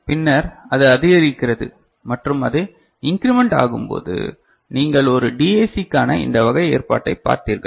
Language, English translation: Tamil, And then it increments right and when it increments you have seen this kind of arrangement for a DAC